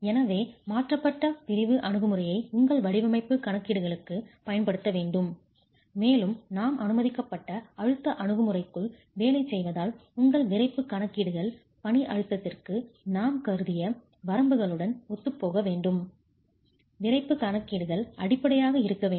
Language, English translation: Tamil, , transform section approach has to be used for your design calculations and since we are working within the permissible stresses approach, your stiffness calculations have to be consistent with the limits that we assume for the working stress